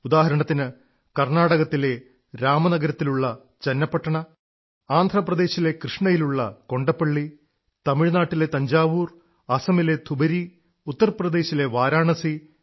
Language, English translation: Malayalam, Like, Channapatna in Ramnagaram in Karnataka, Kondaplli in Krishna in Andhra Pradesh, Thanjavur in Tamilnadu, Dhubari in Assam, Varanasi in Uttar Pradesh there are many such places, we can count many names